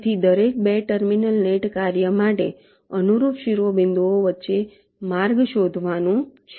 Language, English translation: Gujarati, so for every two terminal net the task is to find a path between the corresponding vertices like